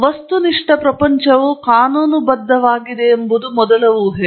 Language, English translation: Kannada, The first assumption is that the material world is lawful